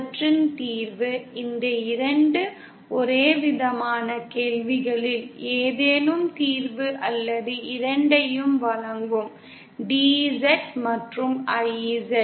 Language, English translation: Tamil, The solution of these, any of these 2 homogeneity questions will give solution or both, DZ and IZ